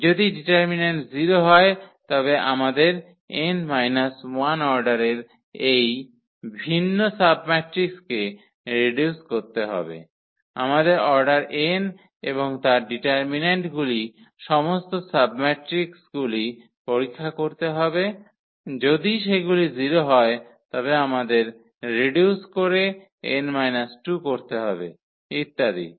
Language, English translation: Bengali, If the determinant is 0 then we have to reduce to this different submatrices of order n minus 1 we have to check all the submatrices of order n and their determinant if they all are 0 then we have to reduce to n minus 2, so on